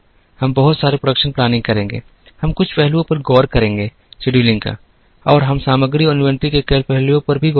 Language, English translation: Hindi, We would do a lot of production planning, we would look at certain aspects of scheduling and we would also look at a lot of aspects of materials and inventory